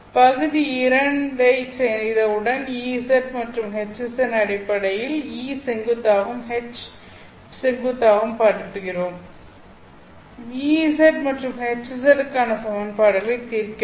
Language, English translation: Tamil, Once you have done part two, you have expressed a perpendicular and H perpendicular in terms of EZ and HZ, you solve equations for EZ and HZ